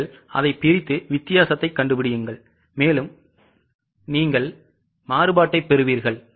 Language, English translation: Tamil, You have to just divide, find the difference and you will get the variance